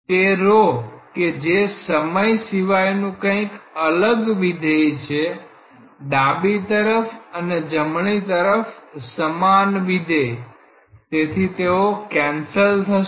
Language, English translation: Gujarati, It is a rho is a function of something else a time so, left hand side and right hand sides the same function so, they are cancelled out